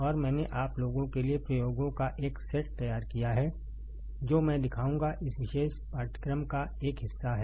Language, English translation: Hindi, And I have prepared a set of experiments for you guys which I will show is a part of this particular course